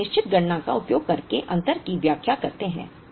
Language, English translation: Hindi, We explain the difference using a certain computation